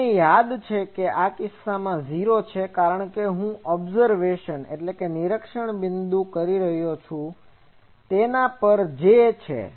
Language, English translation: Gujarati, You remember that in this case J is 0 because this I am doing at the observation point there is no J